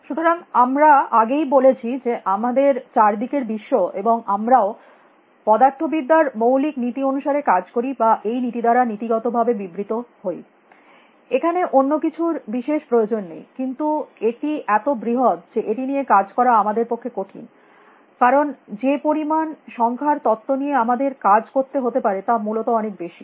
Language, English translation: Bengali, So, we have already said that the world around us and including us operates according to and can in principle be explained by the fundamental laws of physics; nothing else is really needed, but it is too big for us to work with, because the number of amount of information we would have to use would be too much essentially